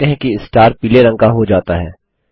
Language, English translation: Hindi, You see that the star turns yellow